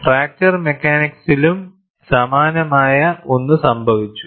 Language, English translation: Malayalam, Something similar to that also happened in fracture mechanics